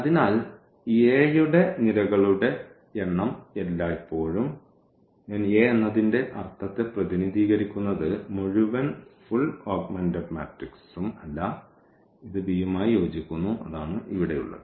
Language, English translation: Malayalam, So, number of columns always represent the I mean of A here yeah not the whole augmented matrix this is corresponding to a this is corresponding to b, that is what we have here